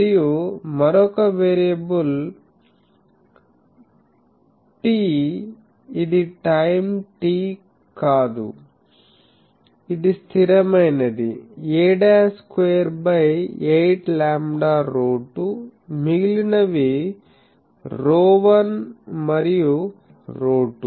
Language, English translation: Telugu, And, another variable is t this is not time t this is a constant of these things a dashed square by 8 lambda rho 2 rho1 and rho 2 are the remaining